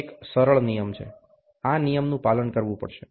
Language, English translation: Gujarati, A simple rule, this rule has to be followed